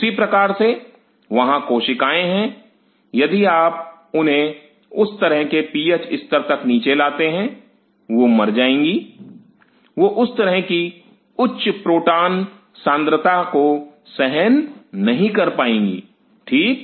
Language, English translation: Hindi, Similarly, there are cells if you bring them down to that kind of PH level, they will die, they will not be able to withstand that kind of high proton concentration, right